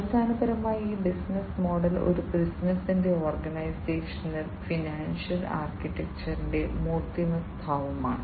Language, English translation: Malayalam, And it is basically this business model is an embodiment of the organizational and the financial architecture of a business